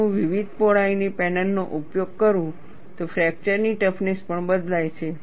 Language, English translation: Gujarati, If I use panels of different widths, fracture toughness also changes